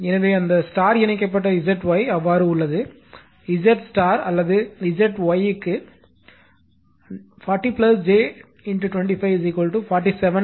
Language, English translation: Tamil, So, Z y that star connected it is so, Z star or Z y is given 40 plus j 25 is equal to 47